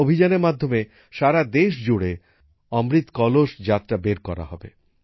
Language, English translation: Bengali, Under this campaign, 'Amrit Kalash Yatra' will also be organised across the country